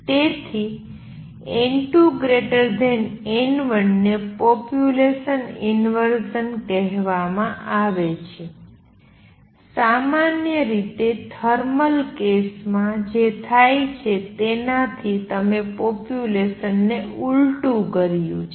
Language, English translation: Gujarati, So, n 2 greater than n 1 is called population inversion, you have inverted the population from what normally happens in thermal case